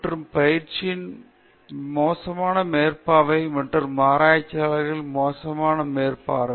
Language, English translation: Tamil, Then, poor supervision of students and trainees and poor oversight of researchers